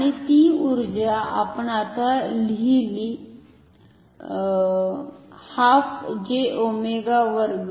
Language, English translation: Marathi, And that in that energy as we have written right now is half J omega square